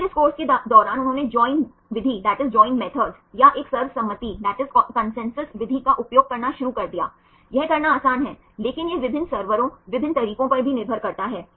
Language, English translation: Hindi, Then during this course right they started to use join methods or a consensus method right this is easy to do, but also it relies on different servers, different methods